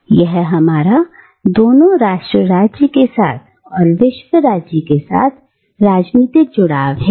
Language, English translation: Hindi, And this is our political engagement, with both the nation state, and with the world state